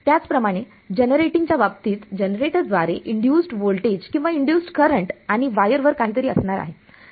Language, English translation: Marathi, Similarly, in the generating case there is going to be an induced voltage or induced current by the generator and something on the wire